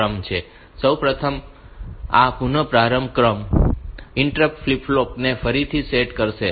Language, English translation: Gujarati, So, first of all this restart sequence will reset the interrupt flip flop this is the first thing that is done